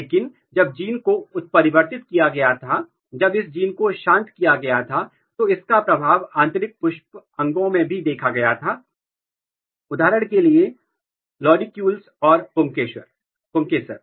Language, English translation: Hindi, But when the gene was mutated, when this gene was silenced, the effect was also seen in the inner organs, inner floral organs for example, lodicules, stamens